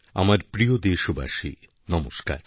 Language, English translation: Bengali, My dearest countrymen namaskar